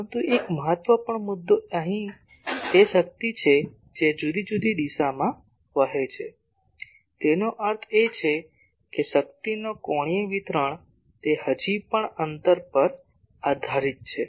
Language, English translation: Gujarati, But one important point is here still the power that is flows in different direction; that means angular distribution of power that is still dependent on the distance